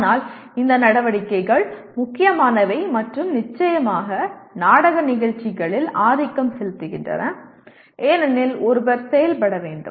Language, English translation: Tamil, But these activities become important and even dominant in course/ in programs in theater because one has to act